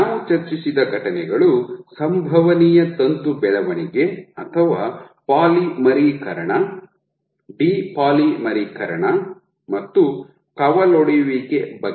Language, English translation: Kannada, So, the events that we said we discussed are possible is filament growth or polymerization, depolymerization and branching